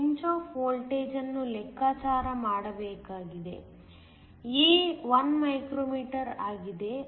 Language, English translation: Kannada, We need to calculate the pinch off voltage; a is 1 micrometer